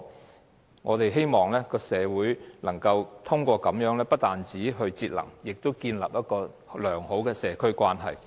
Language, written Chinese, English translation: Cantonese, 透過這些方法，不單推動社會節能，亦建立良好的社區關係。, These practices not only encourage the public to save energy but also help them build good social relationships